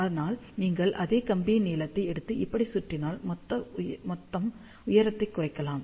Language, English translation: Tamil, But, if you take the same wire length and wrap it around like this, then the total height can be reduced